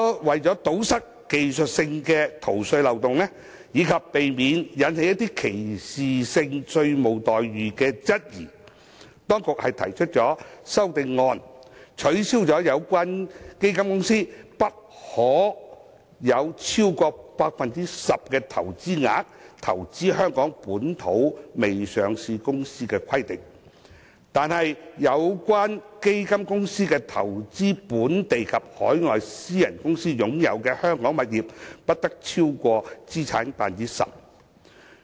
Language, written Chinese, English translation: Cantonese, 為了堵塞技術性的逃稅漏洞，以及避免引起歧視性稅務待遇的質疑，當局最終提出了修正案，取消有關基金公司不可投資香港未上市公司超出其資產總值 10% 的規定，但有關基金公司投資本地及海外私人公司擁有的香港物業不得超過其資產總值的 10%。, To plug the technical loophole on tax evasion and to avoid any doubt about discriminatory tax treatment the authorities have finally proposed amendments to remove the requirement under which the fund companies concerned are subject to a limit of 10 % of their gross asset value in respect of their investments in unlisted Hong Kong companies; but the fund companies are subject to a limit of 10 % of their gross asset value in respect of their investments in Hong Kong properties owned by local and overseas private companies